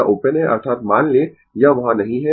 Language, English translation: Hindi, It is open means, assume it is not there